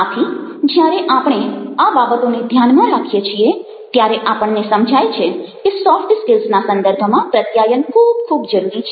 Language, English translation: Gujarati, so when we keep these things in mind, ah, we realize that, ah, communication in the context of soft skills is very, very important